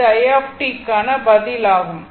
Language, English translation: Tamil, This is the answer for i t right